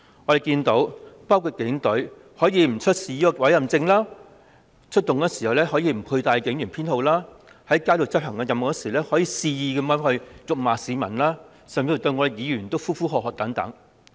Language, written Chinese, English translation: Cantonese, 我們看到警隊可以不出示委任證、出勤時無須展示警員編號、在街上執行任務時肆意辱罵市民甚至喝罵議員。, From what we have seen police officers do not need to show their warrant cards and when they are on duty they do not need to display their service numbers; they can willfully hurl insults at the people while performing duties on the street and even yell at Members